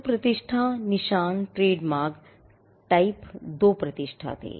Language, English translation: Hindi, So, reputation, marks, trademarks, were type two reputation